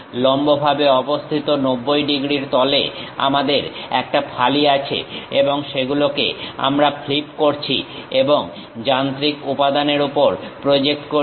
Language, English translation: Bengali, Actually we have a slice in the perpendicular 90 degrees plane and that we are flipping and projecting it on the machine element